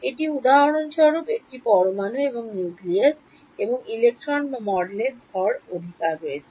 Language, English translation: Bengali, It is for example, an atom and the nucleus and the electrons or model has the mass right